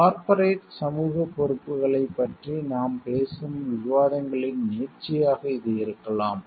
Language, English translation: Tamil, And maybe this will be the extension of the discussions where we talk of corporate social responsibilities